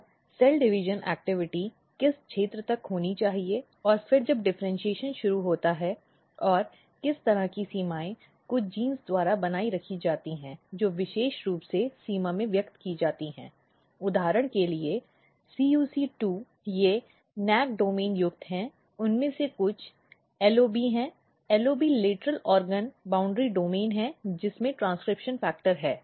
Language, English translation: Hindi, So, up to what region the cell division activity should occur and then when the differentiation initiate and this kind of boundaries are maintained by some of the genes which are very specifically expressed in the in the boundary for example, CUC2 they are LOB domain containing some of them are NAC domain containing and some of them are LOB; LOB is lateral organ boundary domain containing transcription factor